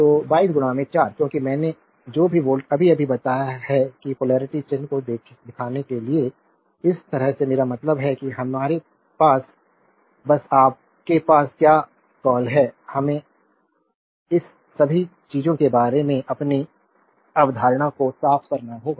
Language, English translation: Hindi, So, 22 into 4 because whatever volt I told you just now that to showing polarity sign, this way you can I means just you have just we have to your what you call, we have to clear our concept about all this things